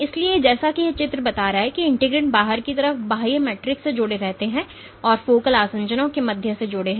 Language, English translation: Hindi, So, as this picture depicts the integrins are binding to the extracellular matrix on the outside and they are connected via focal adhesions